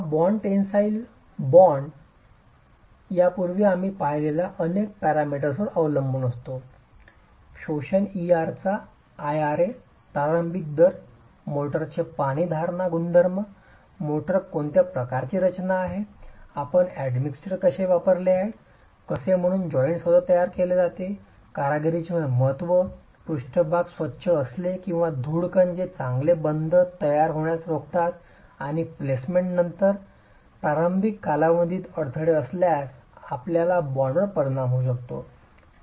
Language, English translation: Marathi, This bond, the tensile bond, depends on a number of parameters that we have looked at earlier, the initial rate of absorption, IRA, the water retention properties of the motor, what sort of composition does the motor have, have you used admixtures, how well is the joint itself made, workmanship therefore matters, whether the surfaces are clean, are the dust particles that inhibit the formation of good bond, and after placement, if there are disturbances in the initial period after placement, your bond can get affected